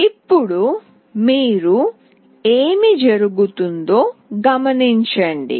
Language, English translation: Telugu, Now, you see what is happening